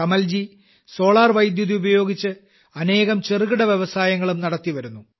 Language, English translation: Malayalam, Kamalji is also connecting many other small industries with solar electricity